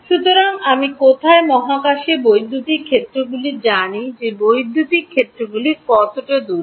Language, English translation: Bengali, So, where all do I know electric fields in space how far apart are electric fields